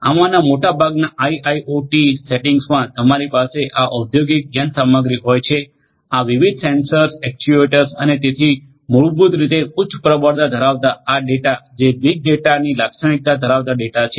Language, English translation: Gujarati, In most of these IIoTs settings you are going to have this industrial machinery with these different sensors actuators and so on basically generating large volumes of data having all this big data characteristics